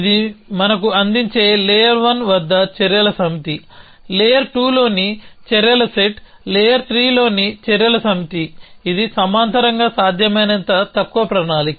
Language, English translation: Telugu, What it gives us is the set of actions at layer 1, set of actions in layer 2, set of actions in layer 3 which is the parallel shortest possible planning